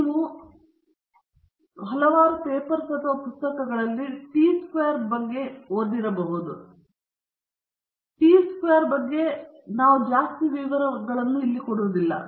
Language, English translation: Kannada, You might have also come across in several papers or books, the t distribution; we will not be getting into all the details about the t distribution